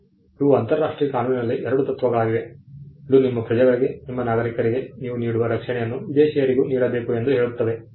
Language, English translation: Kannada, Now, these are two principles in international law, which says that the protection that you offer to your nationals, your citizens should be offered to foreigners as well